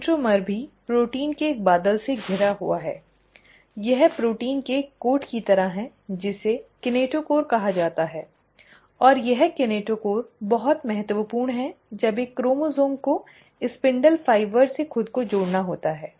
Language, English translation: Hindi, The centromere is also surrounded by a cloud of proteins, it is like a coat of proteins which is called as the kinetochore, and this kinetochore is very important when a chromosome has to attach itself to the spindle fibres